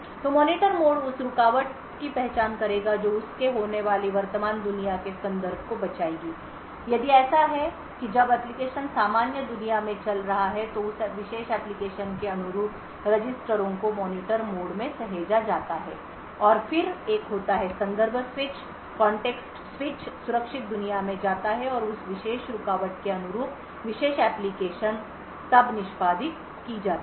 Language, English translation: Hindi, So, the Monitor mode will identify the interrupt that has occurred it would save the context of the current world that is if when application is running in the normal world the registers corresponding to that particular application is saved in the Monitor mode and then there is a context switch to the secure world and the interrupt routine corresponding to that particular interrupt is then executed